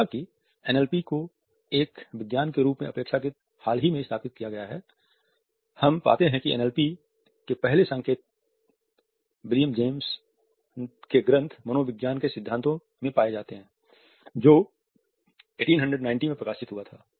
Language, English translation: Hindi, Though NLP as a science has been established relatively recently, we find that the first indications of NLP are found in William James treatise Principles of Psychology which was published in 1890